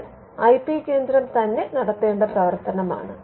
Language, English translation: Malayalam, Now, this is a function that the IP centre has to discharge